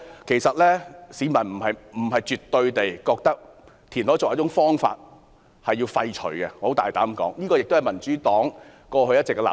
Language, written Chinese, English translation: Cantonese, 其實，我大膽說，市民不是絕對地認為填海作為一種方法應予廢除，這也是民主黨過去一直的立場。, In fact I can say boldly that people do not think that reclamation as an option should be absolutely abolished . This has been the consistent position of the Democratic Party